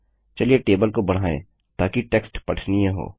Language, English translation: Hindi, Lets elongate the table so that the text is readable